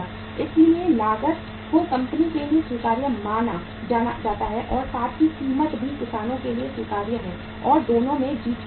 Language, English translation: Hindi, So cost is say acceptable to the company as well as the price is also acceptable to the farmers and both are having the win win situation